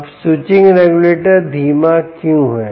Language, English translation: Hindi, now why is the switching regulator slower